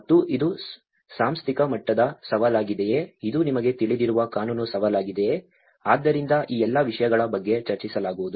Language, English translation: Kannada, And whether it is an institutional level challenge, whether it is a legal challenge you know, so all these things will be discussing about